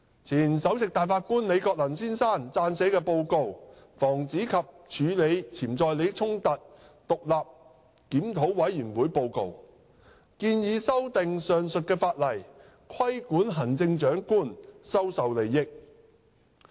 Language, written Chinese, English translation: Cantonese, 前首席大法官李國能先生撰寫的《防止及處理潛在利益衝突獨立檢討委員會報告》建議修訂上述法例，規管行政長官收受利益。, The Report of the Independent Review Committee for the Prevention and Handling of Potential Conflicts of Interest prepared by former Chief Justice Mr Andrew LI has proposed an amendment of POBO to regulate the acceptance of advantage by the Chief Executive